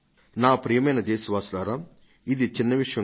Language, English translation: Telugu, My dear fellow citizens, this is not a small matter